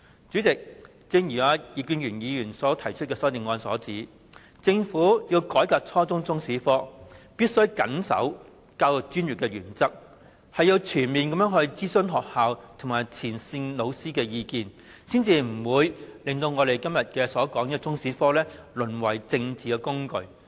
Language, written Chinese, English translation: Cantonese, 主席，正如葉建源議員提出的修正案所指出，政府要改革初中中史科，便"必須謹守教育專業原則，全面徵詢學校及前線教師的意見"，才不會令我們今天討論的中史科淪為政治工具。, President as pointed out in the amendment proposed by Mr IP Kin - yuen if the Government wants to reform Chinese History at junior secondary level it must strictly uphold the principle of professionalism in education comprehensively seek the views of schools and frontline teachers so that the subject of Chinese History that we are discussing today will not be degenerated into a political tool